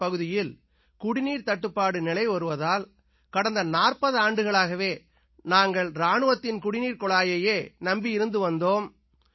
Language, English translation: Tamil, We had a problem of water scarcity in our area and we used to depend on an army pipeline for the last forty years